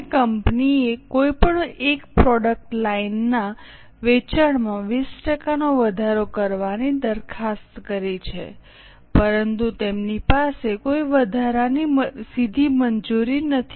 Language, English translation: Gujarati, Now, company proposes to increase the sale of any one product line by 20%, but they don't have extra direct labour